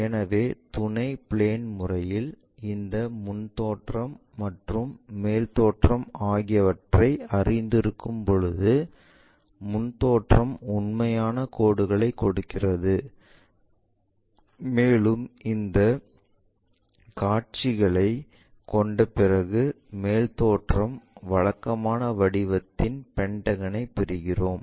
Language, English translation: Tamil, So, our auxiliary plane method, when we know the front views and the top views in this case, ah front view is giving us a line with true line and the top view is after ah having this view, we are getting a pentagon of regular shape